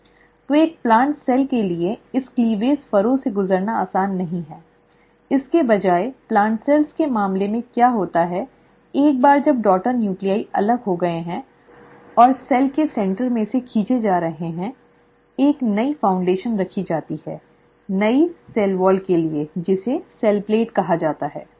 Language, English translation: Hindi, So for a plant cell, it is not easy to undergo this cleavage furrow; instead what happens in case of plant cells is once the daughter nuclei have separated and being pulled apart right at the centre of the cell, there is a new foundation laid for a newer cell wall which is called as the cell plate